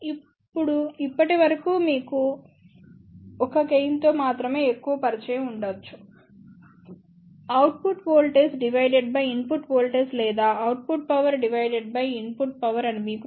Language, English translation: Telugu, Now, till now you might be more familiar with only 1 gain; you know output voltage divided by input voltage or output power divided by input power